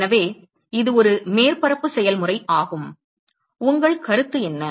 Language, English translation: Tamil, So, it is a surface area process what is your thought